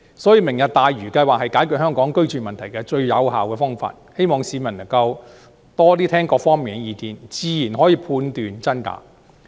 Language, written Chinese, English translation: Cantonese, 所以，"明日大嶼"計劃是解決香港居住問題的最有效方法，希望市民能夠多聽各方面的意見，自然可以判斷真假。, Hence the Lautau Tomorrow Vision is the most effective way of resolving the housing problem in Hong Kong . I hope that the public can listen to the views from all quarters which will help them to judge the rights and wrongs